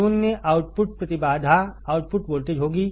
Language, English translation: Hindi, Zero output impedance will be the output voltage